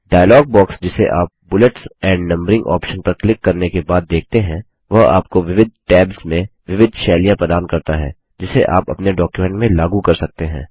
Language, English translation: Hindi, The dialog box which you see after clicking on Bullets and Numbering option, provides you various styles under different tabs which you can apply on your document